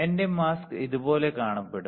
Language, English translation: Malayalam, My mask will look like this